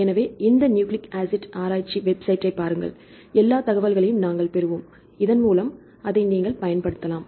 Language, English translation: Tamil, So, look into this nucleic acid research website, we will get the information regarding the all the information so that you can use it